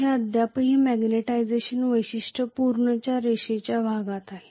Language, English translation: Marathi, It is still in the linear portion of the magnetization characteristic